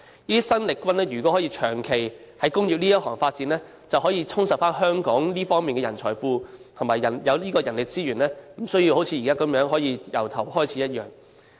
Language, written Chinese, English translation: Cantonese, 這些生力軍如果可以長期在工業界裏發展，便可以充實香港這方面的人才庫及人力資源，不用像現在要從頭開始一樣。, If the new blood can stay permanently in the industrial sector they may enrich the talents pool and manpower resources of Hong Kong in these areas . In this way we need not start all over again like what we are doing now